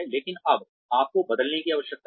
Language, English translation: Hindi, But now, you need to change